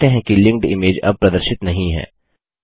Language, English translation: Hindi, You see that the linked image is no longer visible